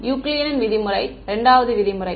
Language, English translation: Tamil, Euclidean norm; right, 2 norm